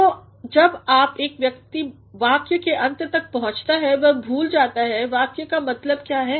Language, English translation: Hindi, So, by the time a person goes to the end of the sentence he forgets what the sentence means